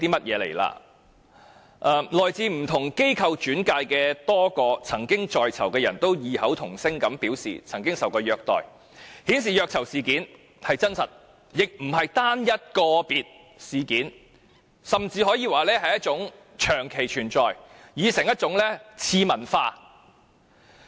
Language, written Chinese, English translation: Cantonese, 此外，來自不同機構轉介的多個曾經在囚人士異口同聲表示曾受虐待，顯示虐囚事件真實，亦非單一個別事件，甚至可以說是一種長期存在、已成一種次文化。, This indicates the truth of the alleged torture of prisoners . The incidents did not happen individually . We can even say that this long - existed phenomenon has now become a subculture